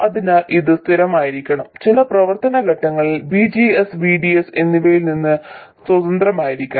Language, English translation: Malayalam, So this must be constant it should be independent of both VGS and VDS at some operating point